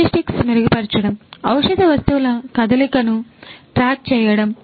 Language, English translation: Telugu, Improving logistics; tracking the movement of pharmaceutical goods